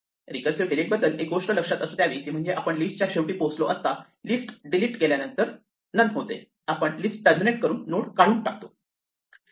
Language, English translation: Marathi, The only thing to remember about recursive delete is when we reach the end of the list and we have deleted this list this becomes none then we should terminate the list here and remove this node